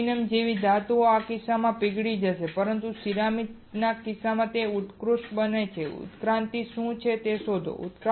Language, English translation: Gujarati, In case of metal like aluminum it will melt, but in case of ceramics it will sublimate right find what is sublimation